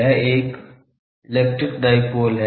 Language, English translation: Hindi, It is an electric dipole